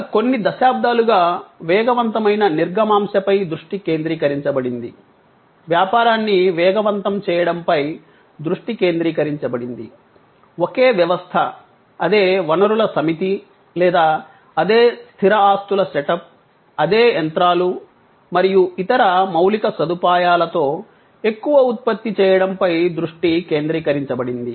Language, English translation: Telugu, Over last several decades, the focus has been on faster through put, focus has been on accelerating the business, focus has been on producing more with the same system, same set of resources or the same fixed assets setup, the same sets of machines and other infrastructure